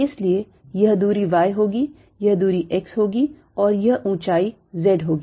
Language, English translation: Hindi, so this distance will be y, this distance will be x and this height will be z